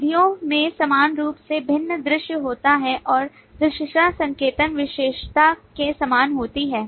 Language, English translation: Hindi, Methods have similarly different visibilities and the visibility notation is same as of the attribute